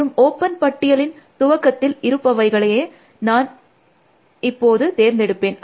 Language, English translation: Tamil, And I will always pick the head of the open list